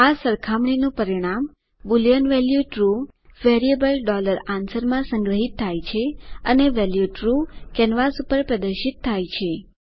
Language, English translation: Gujarati, The result of this comparison, the boolean value true is stored in the variable $answer and the value true is displayed on the canvas